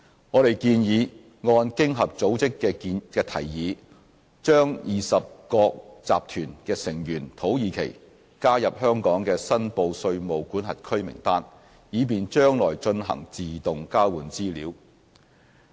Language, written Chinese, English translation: Cantonese, 我們建議按經合組織的提議，把20國集團的成員土耳其加入香港的申報稅務管轄區名單，以便將來進行自動交換資料。, We propose that Turkey being a member of Group of Twenty G20 be added to the list of reportable jurisdictions of Hong Kong on the recommendation of the Organisation for Economic Co - operation and Development to facilitate future automatic exchange of financial account information in tax matters AEOI